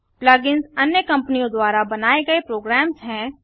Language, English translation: Hindi, plug ins are program created by other companies